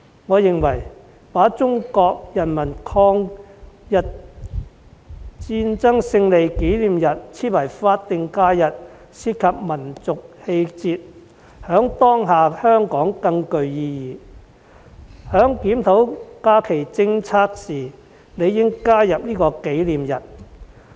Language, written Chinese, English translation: Cantonese, 我認為，把中國人民抗日戰爭勝利紀念日訂為法定假日關乎民族氣節，在當下的香港更具意義，所以在檢討假期政策時理應加入這個紀念日。, In my opinion designating the Victory Day as SH is a matter of national integrity which is particularly meaningful to Hong Kong at the moment . Thus this memorial day ought to be added when reviewing the holiday policy